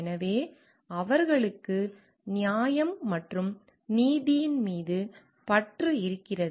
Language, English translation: Tamil, So, they have an obsession towards fairness and justice